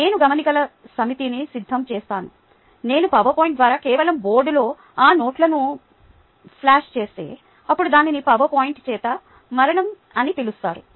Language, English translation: Telugu, i just go and flash those notes in on the board through powerpoint, then that is what is called death by powerpoint